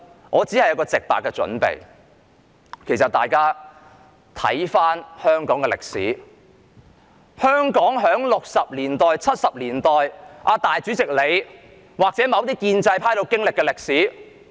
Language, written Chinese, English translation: Cantonese, 我只有一個建議，就是請大家回顧香港六七十年代那段大主席或某些建制派人士都經歷過的歷史。, I only have one suggestion and that is please look back on the history of Hong Kong in the 1960s and 1970s that the President of the Legislative Council or certain members of the pro - establishment camp had once experienced